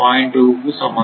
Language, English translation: Tamil, 2 it is 1